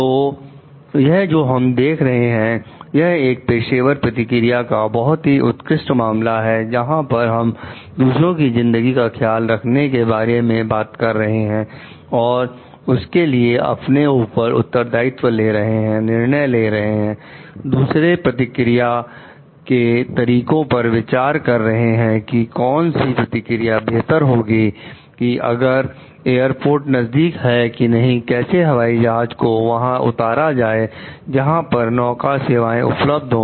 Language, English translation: Hindi, So, this what we see is a classic case of professional response, where we talk of taking care of the lives of others being like owning up the responsibility, taking judgments finding out alternative courses of action like which is a better course of action like if we like airport is near or not; how to land a plane near the where the ferry services are available